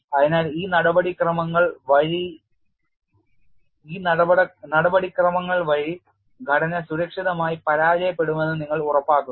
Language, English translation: Malayalam, So, by these procedures you ensure the structure would fail safely